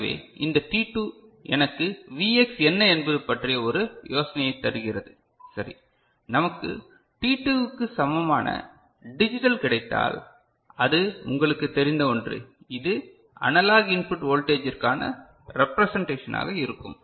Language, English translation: Tamil, So, this t2 gives me an idea about what the Vx was, right and if we get a digital equivalent of t2 so, that is something can be you know, shown as a representation of the analog input voltage